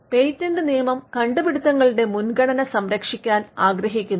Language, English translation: Malayalam, Patent law wants to safeguard priority of inventions